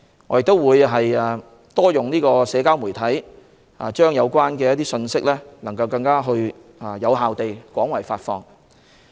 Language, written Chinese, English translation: Cantonese, 我們會更多利用社交媒體，令信息能更有效地廣為發放。, We will make better use of social media to disseminate information more effectively and extensively